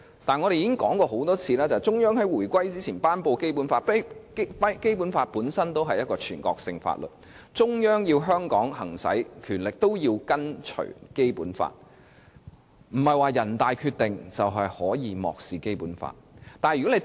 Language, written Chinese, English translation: Cantonese, 但我們已經多次指出，中央在回歸之前頒布《基本法》，《基本法》本身便是一部全國性法律，中央要在香港行使權力，也是要跟從《基本法》，並非有了人大《決定》便可以漠視《基本法》。, We have time and again pointed out that the Basic Law promulgated by the Central Authority before the reunification is a national law . The Central Authority will thus need to follow the Basic Law in the exercise of its powers in Hong Kong . Under no circumstances can the Central Authorities ignore the Basic Law by making the NPCSCs Decision